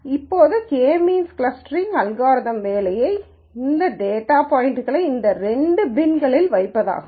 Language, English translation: Tamil, Now the job of K means clustering algorithm would be to put these data points into these two bins